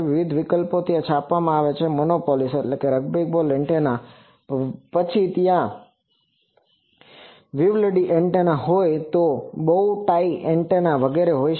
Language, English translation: Gujarati, So, various options are there are printed monopoles antenna, then there were Vivaldi antennas, there were bow tie antennas etc